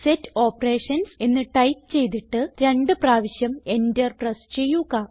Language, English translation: Malayalam, And type Set Operations: and press Enter twice